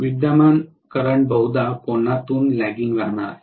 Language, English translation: Marathi, The current is going to be probably lagging behind by certain angle